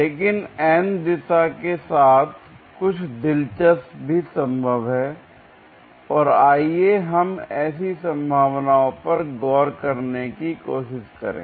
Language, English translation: Hindi, But along the n direction something interesting also is possible and let us try to look into such possibilities